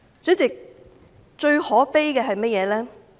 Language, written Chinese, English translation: Cantonese, 主席，最可悲的是甚麼呢？, President what is the most saddening?